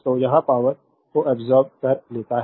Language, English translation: Hindi, So, it is absorbed power